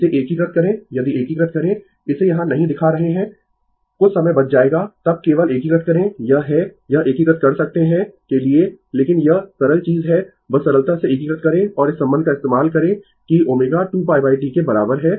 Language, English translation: Hindi, You integrate this if you integrate this I I am not showing it here sometime will be saved then you just integrate it I have this I can do it integration for you, but it is a simple thing from just simply integrate and use this relationship that omega is equal to 2 pi by T right